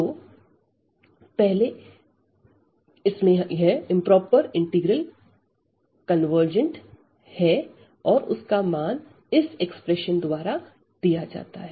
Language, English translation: Hindi, So, in the first case this improper integral we call it is convergent and the values given by this expression here